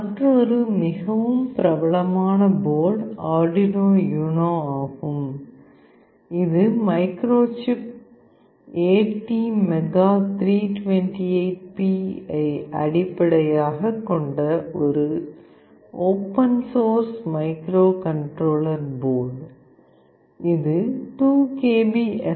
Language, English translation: Tamil, Another very popular board is Arduino UNO, which is a open source microcontroller board based on Microchip ATmega328P; it has got 2 KB of SRAM and 32 KB of flash, it has also got 1 KB of EEPROM